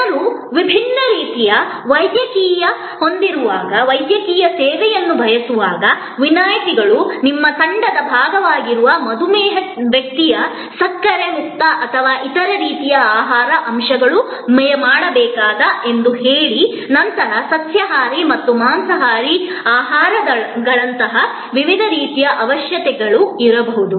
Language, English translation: Kannada, Exceptions are when people have the different kind of medical, say a diabetic person, whose part of your team, may need a sugar free or other types of foods, elements, then there can be different kinds of vegetarian and non vegetarian dietary restrictions, requirements